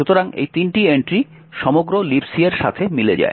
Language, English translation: Bengali, So, these three entries correspond to the entire LibC